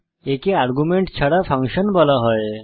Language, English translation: Bengali, This is called as functions without arguments